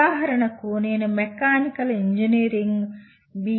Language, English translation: Telugu, For example if I am designing a Mechanical Engineering B